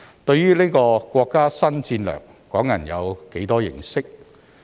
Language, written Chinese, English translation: Cantonese, 對於這項國家新戰略，港人有多少認識？, How much do Hong Kong people know about this new national strategy?